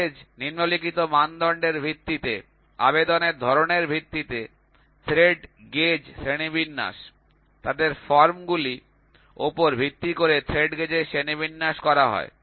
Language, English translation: Bengali, The thread gauge are classified on the basis of following criteria, classification of thread gauge based on type of application, classification of thread gauge based on their forms